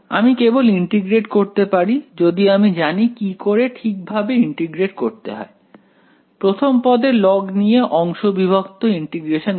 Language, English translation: Bengali, We can just integrate it we know how to integrate this right we can take, log as the first term integration by parts right